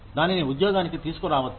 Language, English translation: Telugu, You may bring it to the job